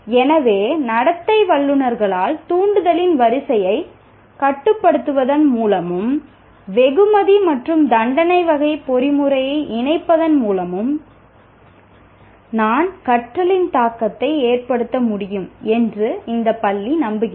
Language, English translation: Tamil, So by the behaviorists, this school believes that by controlling the sequence of stimuli and also associating a reward and punishment type of mechanism with that, I can influence the learning